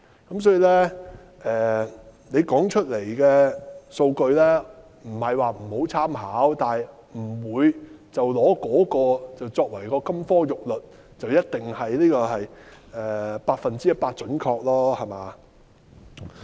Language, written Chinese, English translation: Cantonese, 因此，政府提出來的數據不是不值得參考，但我們不會以那些數據作為金科玉律，不會覺得一定是百分之一百準確。, For that reason we are not saying that the Governments data are of no reference value but we will not treat them as the golden rule and we will definitely not consider them 100 % accurate